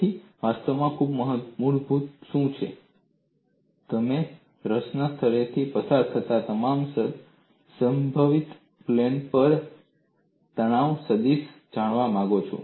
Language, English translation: Gujarati, What is actually fundamental is you want to know the stress vector on all the possible planes passing through point of interest